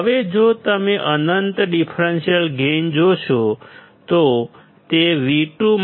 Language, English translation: Gujarati, Now if you see infinite differential gain; it is V2 minus V1